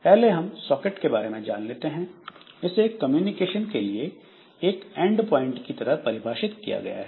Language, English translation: Hindi, A socket is defined as an endpoint for communication